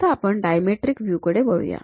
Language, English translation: Marathi, Now, let us look at dimetric view